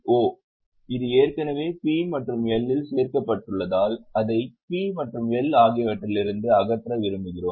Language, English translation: Tamil, O because it is already added in P&L, we want to remove it from P&L